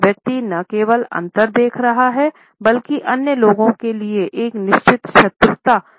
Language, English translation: Hindi, The person shows not only a noted in difference, but also a definite hostility to other people